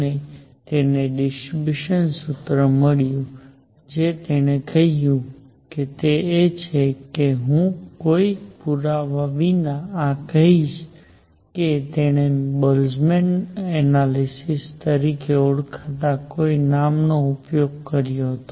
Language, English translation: Gujarati, And he got a distribution formula what he said is I will I will just state this without any proof he used some name call the Boltzmann’s analysis